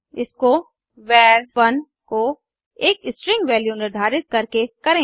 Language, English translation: Hindi, Lets do this by assigning a string value to variable var1